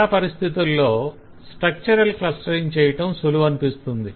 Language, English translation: Telugu, so in many situations, a structural clustering